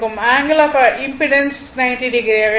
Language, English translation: Tamil, That is angle of impedance will be minus 90 degree